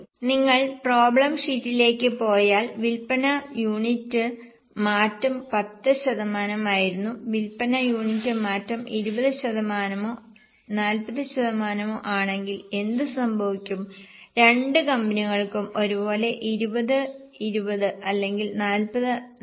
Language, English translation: Malayalam, If you go to problem sheet, the sale unit change which was 10%, what will happen if sale unit change is 20% or 40% for both the company is same, so 2020 or 4040